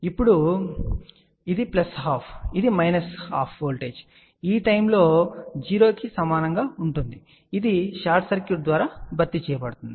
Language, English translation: Telugu, Now, this is plus half this is minus half the voltage you can say that at this particular point will be equal to 0 which is replaced by a short circuit